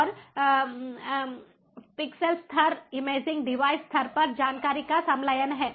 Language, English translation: Hindi, and pixel level is fusion of information at the imaging device level itself